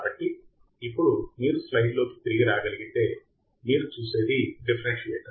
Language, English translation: Telugu, So, now if you can come back on the on the slide, what you see is a differentiator